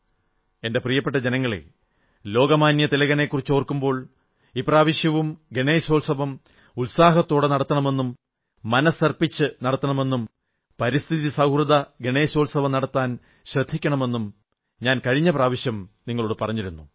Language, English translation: Malayalam, I had requested last time too and now, while remembering Lokmanya Tilak, I will once again urge all of you to celebrate Ganesh Utsav with great enthusiasm and fervour whole heartedly but insist on keeping these celebrations ecofriendly